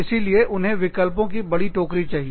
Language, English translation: Hindi, So, they want a larger basket of offerings